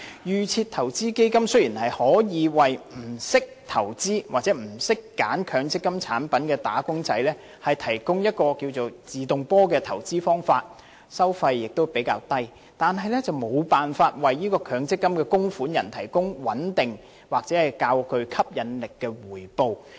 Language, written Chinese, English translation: Cantonese, 預設投資基金雖然可以為不懂得投資或選擇強積金產品的"打工仔"提供所謂"自動波"的投資方法，收費亦比較低，但卻無法為強積金供款人提供穩定或較具吸引力的回報。, Although default investment funds are able to provide wage earners who do not know how to make investments or select MPF product types with products that can operate automatically on their own and with relatively low management fees MPF contributors are not provided with stable or more attractive returns